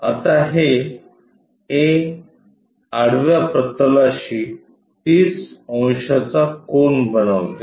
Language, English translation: Marathi, Now, this A makes 30 degrees to horizontal plane